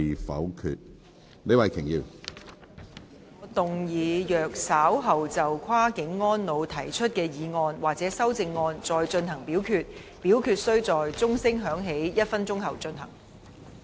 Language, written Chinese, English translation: Cantonese, 主席，我動議若稍後就"跨境安老"所提出的議案或修正案再進行點名表決，表決須在鐘聲響起1分鐘後進行。, President I move that in the event of further divisions being claimed in respect of the motion of Cross - boundary elderly care or any amendments thereto this Council do proceed to each of such divisions immediately after the division bell has been rung for one minute